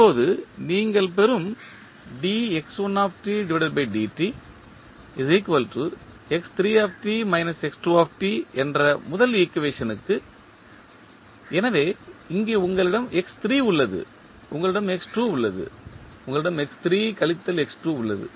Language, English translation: Tamil, Now, for the first equation what you are getting, dx1 by dt is equal to x3 minus x2, so here you have x3, you have x2, you have x3 minus x2